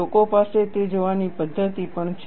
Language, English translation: Gujarati, People also have methodologies to look at that